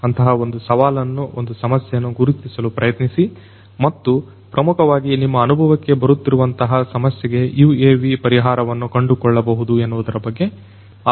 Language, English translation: Kannada, And try to identify one such challenge one such problem and see whether you can have you can come up with a UAV solution to basically address that particular problem that you are experiencing